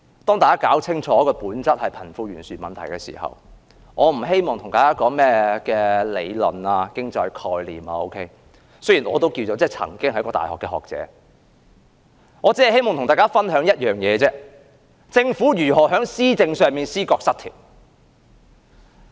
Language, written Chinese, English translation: Cantonese, 大家應搞清楚這本質上是貧富懸殊的問題，我不希望與大家談甚麼理論、經濟概念，雖然我也曾經是一位大學學者，我只希望與大家分享一件事，就是政府如何在施政上出現思覺失調。, Members should understand clearly that this is a problem of disparity between the rich and the poor in nature . I am not going to discuss theories and economic concepts though I used to be a scholar in the university . I just hope to share one point with Members and that is how the Government is suffering from early psychosis in its administration